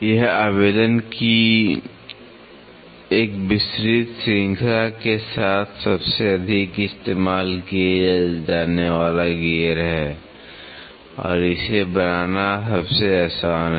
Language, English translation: Hindi, This is the most commonly used gear with a wide range of application and it is easiest to manufacture